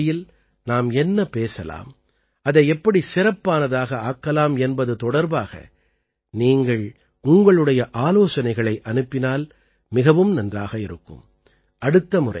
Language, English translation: Tamil, I would like it if you send me your suggestions for what we should talk about in the 100th episode and how to make it special